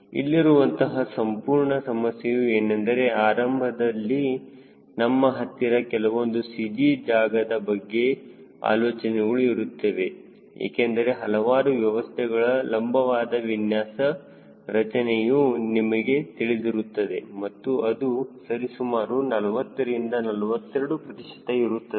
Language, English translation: Kannada, right, the whole problem is: you may have initially some rough idea about the cg location because you know what are the layouts in different systems, longitudinally and generally it will be around forty to forty two percent